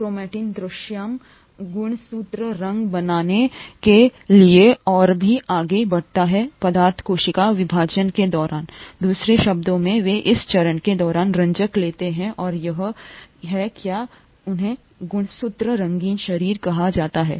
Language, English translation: Hindi, Chromatin condenses even further to form visible chromosomes, the coloured substances, during cell division, in other words they take up dyes during this stage and that’s why they are called chromosomes, coloured bodies